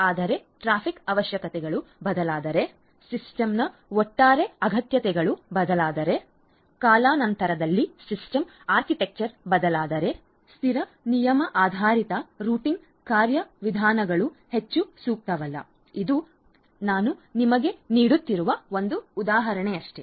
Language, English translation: Kannada, But if the traffic requirements change, if the overall requirements of the system changes, if the system architecture changes over time, then static rule based routing mechanisms are not very suitable this is just an example that I just gave you